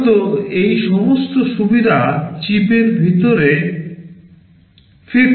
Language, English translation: Bengali, Typically all those facilities are provided inside the chip